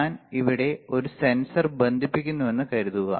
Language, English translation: Malayalam, So, suppose I connect a sensor here